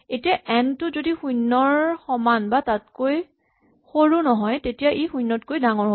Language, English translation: Assamese, Now if n is not less than equal to 0 then n is greater than 0